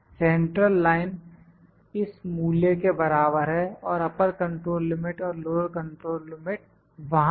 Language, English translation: Hindi, Central line is equal to this value and upper control limit, lower control limit are there